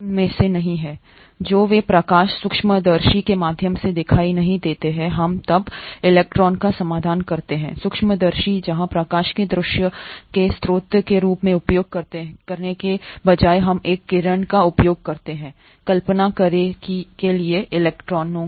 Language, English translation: Hindi, The ones which are not visible through light microscopes, we then resolve to electron microscopes,where, instead of using light as the source of visualisation we use a beam of electrons to visualize